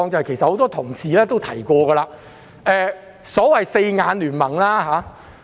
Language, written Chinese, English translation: Cantonese, 此外，很多同事亦提及所謂的"四眼聯盟"。, Besides many colleagues also referred to the so - called Four Eyes alliance